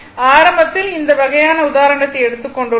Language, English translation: Tamil, Initially, I have taken these kind of example